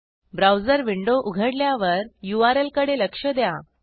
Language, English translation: Marathi, When the browser window opens, look at the URL